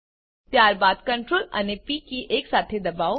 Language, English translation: Gujarati, Then, press the keys Ctrl and P together